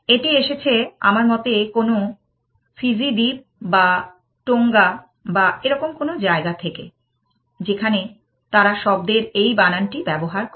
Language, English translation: Bengali, This comes from some I think Fiji Island or Tonga or somewhere, where they use this spelling of the word